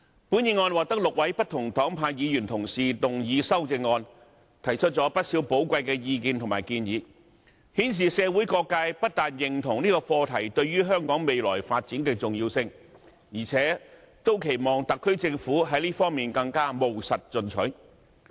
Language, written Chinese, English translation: Cantonese, 本議案獲得6位不同黨派議員同事動議修正案，提出不少寶貴的意見及建議，顯示社會各界不單認同此課題對於香港未來發展的重要性，而且也期望特區政府在這方面更務實進取。, Six Honourable colleagues from different political parties and groupings have proposed amendments to this motion putting forward a lot of valuable views and recommendations which shows that various sectors in the community not only recognize the importance of this subject to the future development of Hong Kong but also expect the Government of the Hong Kong Special Administrative Region SAR to be more pragmatic and proactive in this regard